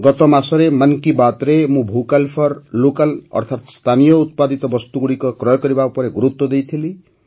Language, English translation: Odia, Last month in 'Mann Ki Baat' I had laid emphasis on 'Vocal for Local' i